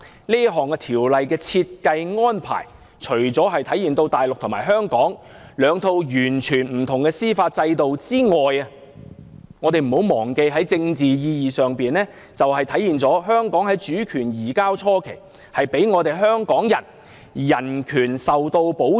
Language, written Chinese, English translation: Cantonese, 這項安排除了體現大陸與香港實行兩套完全不同的司法制度外，我們不要忘記，在政治意義上，更體現了在香港主權移交初期，大陸給予香港人的人權保障。, The arrangement is not only a demonstration of the entirely different judicial systems in Hong Kong and the Mainland . Let us not forget that in a political sense it is also a representation of the protection of human rights afforded to the people of Hong Kong after its transfer of sovereignty to China